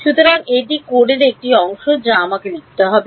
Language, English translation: Bengali, So, that is a part of code which I have to write